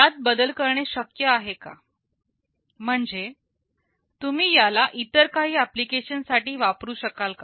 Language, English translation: Marathi, Is it possible to modify it, so that you can also use it for some other application